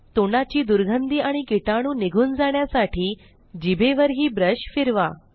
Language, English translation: Marathi, * Also brush the tongue to maintain good breath and to get rid of germs